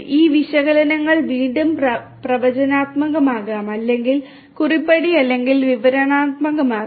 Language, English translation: Malayalam, These analytics could be again predictive or they could be prescriptive or descriptive